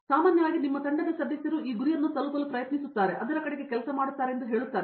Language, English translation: Kannada, Generally your team mates tell you that there is this goal that we are trying to reach and we are working towards it